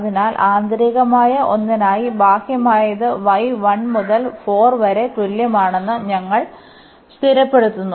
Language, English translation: Malayalam, So, for the inner one so, we fix the outer one y is equal to 1 to 4, for inner one with respect to x first